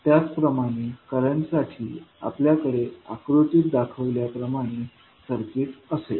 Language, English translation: Marathi, Similarly, for current, you will have the circuit as shown in the figure